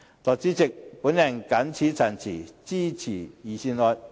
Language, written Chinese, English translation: Cantonese, 代理主席，我謹此陳辭，支持預算案。, With these remarks Deputy President I support the Budget